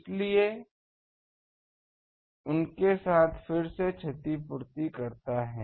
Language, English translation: Hindi, So, a again compensates with them